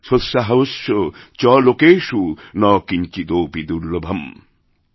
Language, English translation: Bengali, Sotsaahasya cha lokeshu na kinchidapi durlabham ||